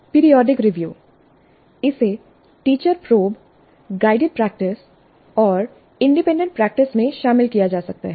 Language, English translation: Hindi, It can be incorporated into teacher probes, guided practice and independent practice